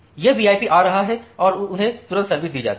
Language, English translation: Hindi, So, that VIP is coming and they are served immediately